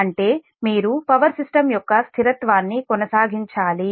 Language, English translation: Telugu, so that means you have to, you have to maintain the stability of power system